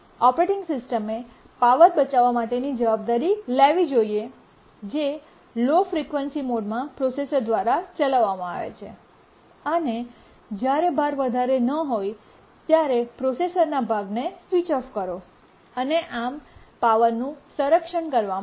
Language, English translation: Gujarati, The operating system should take responsibility to save power that is run the processor in low frequency mode when the load is not high, switch up the processor part and so on when the load is not high and that's how conserve the power